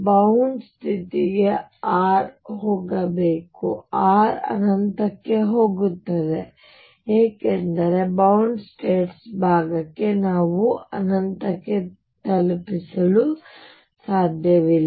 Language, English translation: Kannada, For bound state R should go to 0 as r goes to infinity because for bound states part we cannot escape to infinity